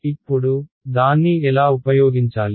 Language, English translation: Telugu, Now, how will be use it